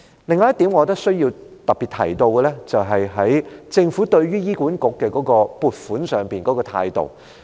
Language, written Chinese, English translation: Cantonese, 另一點我認為需要特別提到的是，政府對於醫管局的撥款上的態度。, Another point which I think should be particularly mentioned is the Governments attitude towards the funding allocation to HA